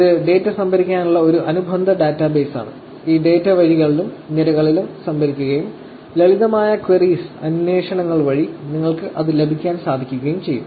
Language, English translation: Malayalam, Basically, it is a relational database to store the data, and data is stored in rows and columns, and simple queries, you could use to get the data